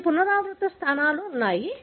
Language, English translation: Telugu, So, you have repeat loci